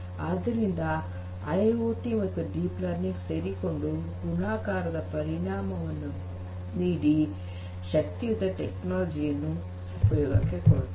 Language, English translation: Kannada, So, together IIoT, deep learning together makes things multiplicative in terms of the benefits that can be obtained and together you get a very powerful technology